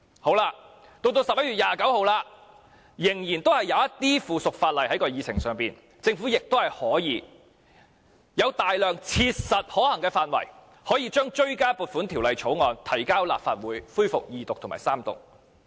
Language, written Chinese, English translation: Cantonese, 到了11月29日，議程上仍然有一些附屬法例，政府亦有大量切實可行的範圍，可以將追加撥款條例草案提交立法會恢復二讀及三讀。, On 29 November there were still some pieces of subsidiary legislation on the Agenda and it was perfectly practicable for the Government to table the Bill before the Legislative Council for resumption of the Second Reading debate and Third Reading